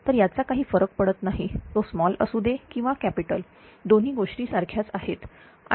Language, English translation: Marathi, So, it does not matter whether it is capital or small both are same right